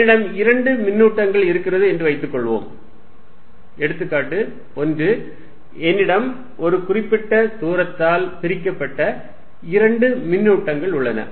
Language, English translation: Tamil, Suppose I have two charge; example one, suppose I have two charges, separated by certain distance